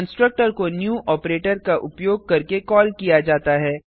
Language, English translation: Hindi, Constructor is called using the new operator